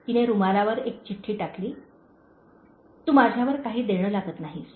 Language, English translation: Marathi, She left a note on the napkin saying: “You don’t owe me anything